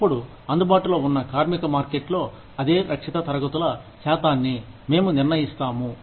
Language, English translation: Telugu, Then, we determine the percentage of those, same protected classes, in the available labor market